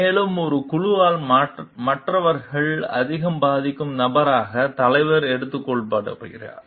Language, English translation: Tamil, And the leader is taken to be the person, who influences the others most in a group